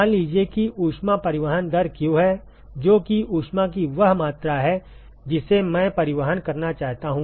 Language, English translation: Hindi, Let us say the heat transport rate is q that is the amount of heat that I want to transport